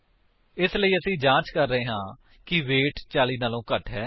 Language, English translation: Punjabi, So, We are checking if the value of weight is less than 40